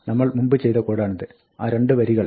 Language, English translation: Malayalam, This is the code that we had before: those 2 lines